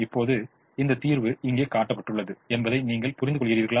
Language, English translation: Tamil, now you realize that is shown here